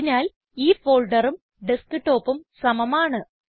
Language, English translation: Malayalam, So this folder and the Desktop are the same